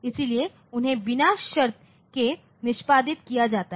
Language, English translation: Hindi, So, they are executed unconditionally